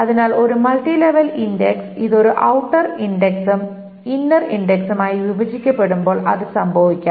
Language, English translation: Malayalam, So, that can happen with the multi level index and then this can be broken into an outer index and then it doesn't fit into an inner index